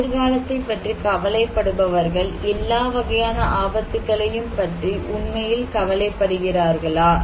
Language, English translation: Tamil, People who worry about the future, do those people worry equally about all kind of risk